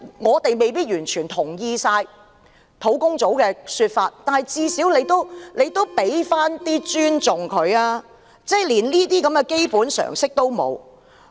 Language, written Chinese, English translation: Cantonese, 我們未必完全贊同專責小組的說法，但至少你要給他們一點尊重，政府連這種基本常識也沒有。, While we may not fully agree with what the Task Force proposes a little respect should at least be accorded to them . The Government does not even possess such a basic common sense